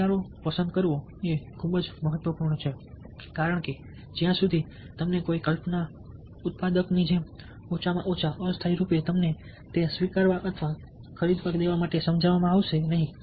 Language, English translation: Gujarati, liking is very important because unless you like an idea, like a thought, like a product, at least temporarily, you are not going to get persuaded to, lets say, accept it or buy it ok